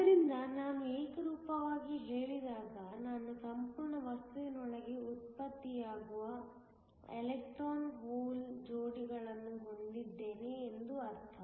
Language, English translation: Kannada, So, when I say uniformly, it means that I have electron hole pairs generated within the entire material